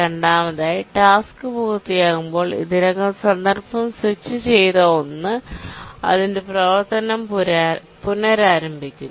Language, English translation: Malayalam, And the second on completion of the task, the one that was already context switched resumes its run